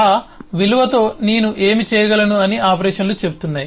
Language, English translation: Telugu, Operations say what can I do with that value